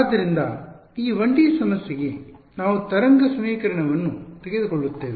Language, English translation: Kannada, So, this 1D problem we will take the wave equation ok